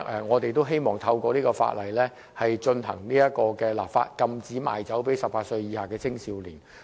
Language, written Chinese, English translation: Cantonese, 我們希望透過條例草案的立法，禁止賣酒給18以下青少年。, We hope to prohibit the sale of liquors to minors under the age of 18 years by means of the enactment of the Bill